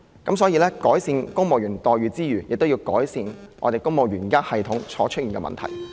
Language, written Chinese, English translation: Cantonese, 因此，在改善公務員待遇之餘，也要改善公務員系統現時出現的問題。, Hence while efforts should be made to improve the employment terms of civil servants we should also endeavour to address the existing problems with the civil service system